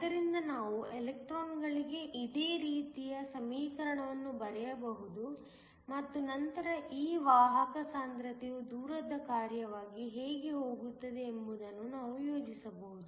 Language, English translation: Kannada, So, we can write a similar equation for the electrons and then we can plot how this carrier concentration goes as a function of distance